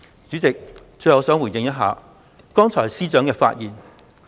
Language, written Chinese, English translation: Cantonese, 主席，我最後想回應司長剛才的發言。, President lastly I wish to give a reply on the earlier speech of the Secretary for Justice